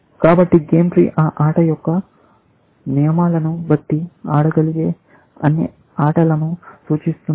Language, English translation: Telugu, So, basically, the game tree represents all possible games that can be played; given the rules of that game